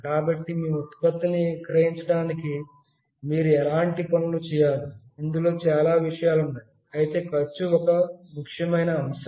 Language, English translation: Telugu, So, what kind of things you should do to sell your product, there are lot many things that are involved, but cost is an important factor